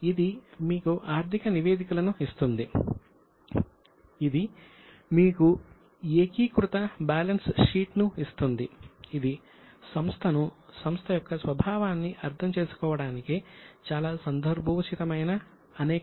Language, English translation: Telugu, It will give you financial statements, it will give you consolidated balance sheet, it will also give you various other statements which are very much relevant to understand the company, the nature of company and so on